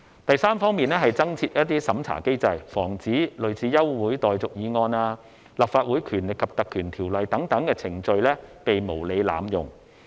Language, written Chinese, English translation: Cantonese, 第三方面，是增設審查機制，防止類似休會待續議案、《立法會條例》等程序被無理濫用。, The third aspect is about introducing a vetting mechanism to prevent procedures such as moving adjournment motions and motions moved under Legislative Council Ordinance from being unreasonably abused